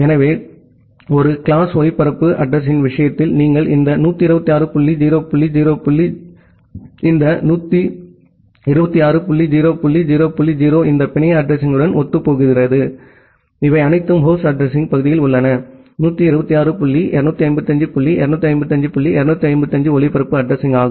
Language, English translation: Tamil, So, in case of a class A broadcast address, you have so you it corresponds to this 126 dot 0 dot 0 this dot 126 dot 0 dot 0 dot 0 this network address, you have these all the 1’s in the host address part that means, 126 dot 255 dot 255 dot 255 as the broadcast address